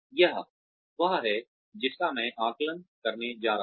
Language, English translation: Hindi, This is what, I am going to assess